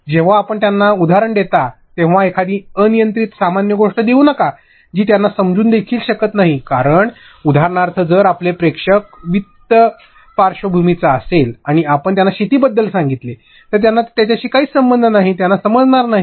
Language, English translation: Marathi, When you give them an example, do not give an arbit general thing which they cannot even understand, because for example, if your audience comes from a finance background and you tell them about farming, how will they ever no relate to it, they would not understand